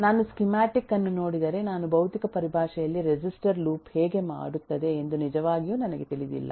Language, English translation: Kannada, If I look at the schematic I do not know really how does the register loop in physical terms